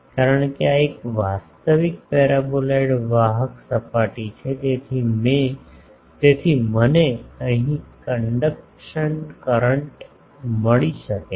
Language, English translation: Gujarati, Because, this is a real paraboloid conducting surface is there so, I can find the conduction current here